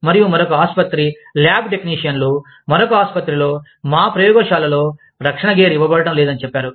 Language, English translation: Telugu, And, another hospital says, the lab technicians, in another hospital say, we are not being given, protective gear, in our labs